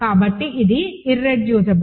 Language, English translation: Telugu, So, this is irreducible